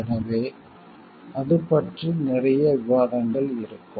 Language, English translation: Tamil, So, there will be lot of debates about it